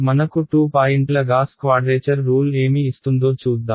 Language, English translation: Telugu, Let us see what a 2 point Gauss quadrature rule gives us